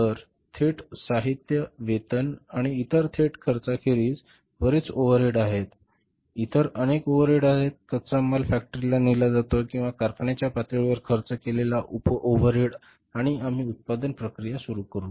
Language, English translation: Marathi, So there are so many overheads apart from the direct material wages and the other direct expenses, there are so many other overheads, the sub overheads which are incurred at the level of the factory when the raw material is taken to the factory and we start the production process